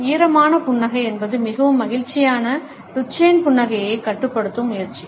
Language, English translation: Tamil, A dampened smile is an attempt to control a very happy Duchene smile